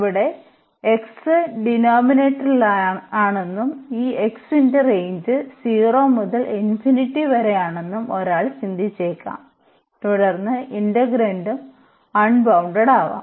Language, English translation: Malayalam, So, in this case one might think that here the x is in the denominator and the range of this x is from 0 to infinity then the integrand may become unbounded